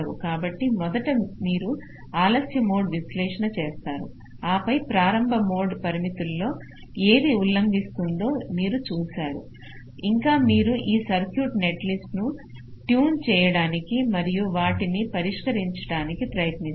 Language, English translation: Telugu, so first you do the late mode analysis, then you see which of the early mode constraints are getting violate it still you try to tune this circuit netlist and trying to address them